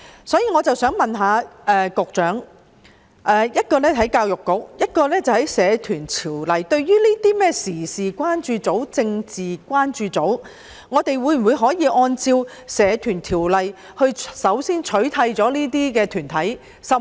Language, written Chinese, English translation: Cantonese, 就此，我想問局長——一是關於教育局，其次是關乎《社團條例》——對於這些時事關注組及政治關注組，我們可否先按照《社團條例》取締這些團體？, In this regard I would like to ask the Secretary a question which concerns both EDB and the Societies Ordinance . Can those current affairs groups and political concern groups be outlawed under the Societies Ordinance?